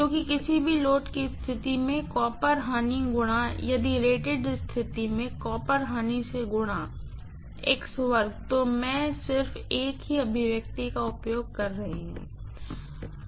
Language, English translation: Hindi, Because, copper losses at any load condition x if x square multiplied by copper losses at rated condition, so I am just using the same expression